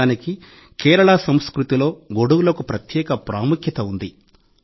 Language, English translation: Telugu, In a way, umbrellas have a special significance in the culture of Kerala